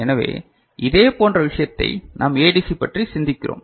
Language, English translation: Tamil, So, similar thing we have thinking about ADC right